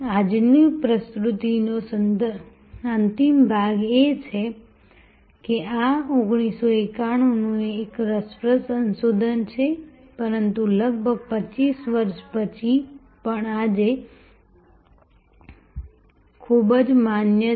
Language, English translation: Gujarati, The concluding part of today’s presentation will be this is an interesting research from 1991, but very, very valid even today after almost 25 years